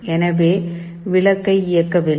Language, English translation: Tamil, So, the bulb is not switched on